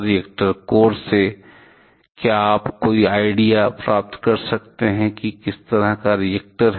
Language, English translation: Hindi, From the reactor core can you get any idea about what kind of reactor it is